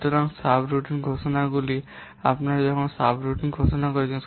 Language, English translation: Bengali, So subroutine declarations when you are declaring subroutines